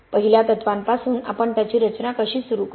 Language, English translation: Marathi, How do we start designing it from first principles